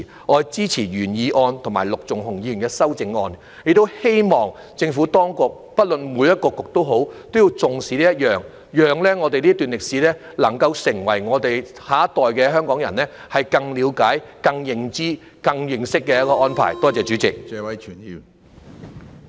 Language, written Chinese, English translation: Cantonese, 我支持原議案及陸頌雄議員的修正案，亦希望政府當局——不論是哪個局——也要重視此事，並作出安排，讓我們的下一代更了解、更認知、更認識這段歷史。, I support the original motion and Mr LUK Chung - hungs amendment . I also hope that the Administration regardless of which bureau it is will attach importance to this matter and make arrangements to enable our next generation to have a better understanding awareness and knowledge of this episode in history